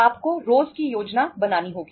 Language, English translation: Hindi, You have to plan for everyday